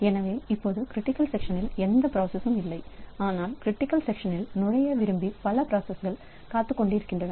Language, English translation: Tamil, So, right now there is nobody within the critical section but we have got a number of intending processes who want to enter into the critical section